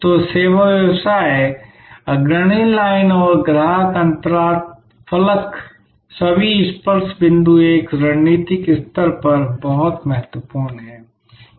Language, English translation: Hindi, So, the service business, the front line and the customer interface all the touch points are very important even at a strategic level